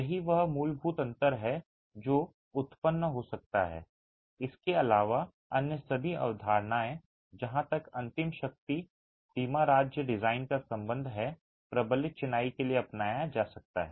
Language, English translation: Hindi, Other than that, all concepts as far as ultimate strength, limit state design is concerned, can be adopted for reinforced masonry